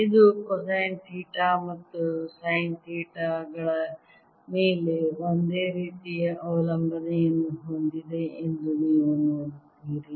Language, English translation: Kannada, you see, this has the same dependence on cosine theta and sine theta as the answer here